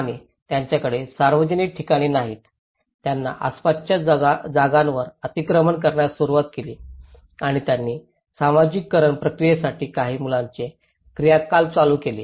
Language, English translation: Marathi, And they donÃt have public places lets they started encroaching the neighbourhood lands and they started conducting some children activities for socialization process